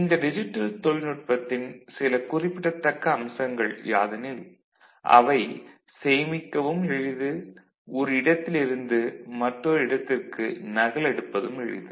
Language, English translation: Tamil, And some of the features of this digital technology, if you look at it, they are easy to store, they are easy to copy from one place to another